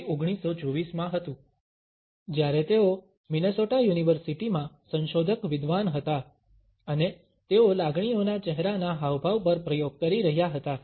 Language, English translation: Gujarati, It was in 1924, when he was a research scholar in the University of Minnesota and he was experimenting on the facial expressions of emotions